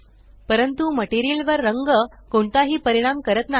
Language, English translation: Marathi, But the color has no effect on the material